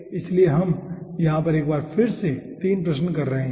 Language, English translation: Hindi, so we are having once again 3 questions over here